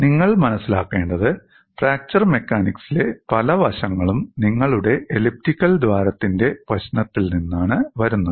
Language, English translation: Malayalam, What you will have to look at is many aspects in fracture mechanics come from your problem of elliptical hole